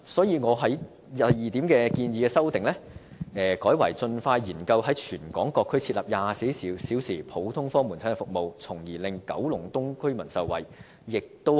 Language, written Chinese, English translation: Cantonese, 因此，我就第二點建議作出修訂，改為"盡快研究在全港各區設立24小時普通科門診服務，從而令九龍東居民受惠"。, For this reason I have amended the proposal in item 2 as expeditiously studying the introduction of outpatient services in various districts in Hong Kong with a view to benefiting residents of Kowloon East